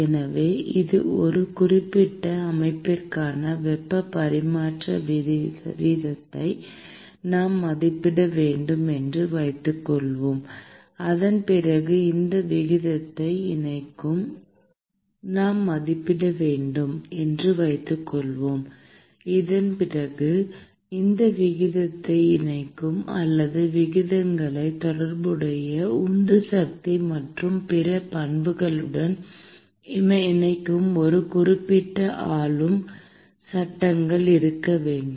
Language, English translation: Tamil, So, suppose I want to estimate a heat transfer rate for a particular system, then we need to have a certain governing laws that connects the rate or that connects the rates with the corresponding driving force and other properties